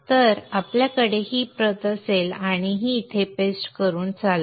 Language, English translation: Marathi, Now let us copy this and paste it here